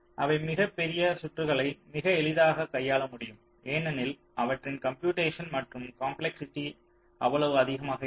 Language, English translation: Tamil, they can handle very large circuits quite easily because their computation and complexity is not so high